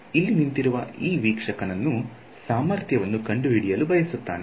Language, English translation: Kannada, This observer standing over here wants to find out the potential